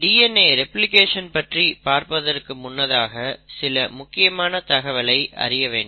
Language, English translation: Tamil, So before I get into DNA replication, there are few things which is very important to know